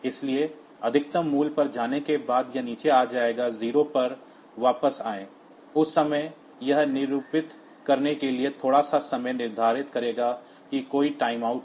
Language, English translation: Hindi, So, after going the maximum value it will come down come to come back to 0, at that time it will set a bit to denote that there is a timeout